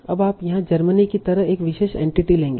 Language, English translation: Hindi, So now you will take a particular entity like here Germany